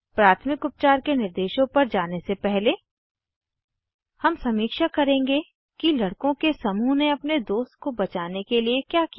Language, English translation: Hindi, Before moving on to the first aid instructions, we will review what the group of boys did to save their friend